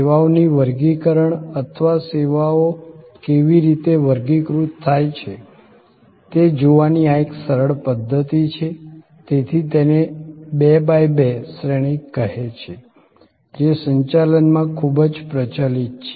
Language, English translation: Gujarati, This is a simple way of looking at the taxonomy of services or how services can be classified, so it is say 2 by 2 matrix, which is very popular in management